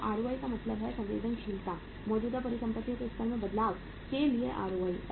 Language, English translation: Hindi, So ROI is means sensitivity of the ROI to the change in the level of the current assets